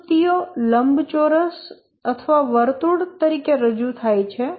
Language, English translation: Gujarati, The activities are represented as rectangles or circles